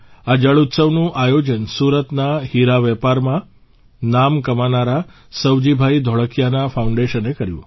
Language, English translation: Gujarati, This water festival was organized by the foundation of SavjibhaiDholakia, who made a name for himself in the diamond business of Surat